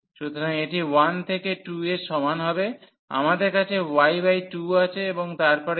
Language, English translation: Bengali, So, this is equal to 1 to 2 we have y by 2, and then x square